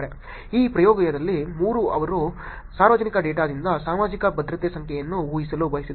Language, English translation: Kannada, In this experiment 3 they wanted to predict Social Security Number from public data